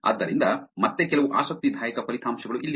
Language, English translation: Kannada, So, here are some interesting results again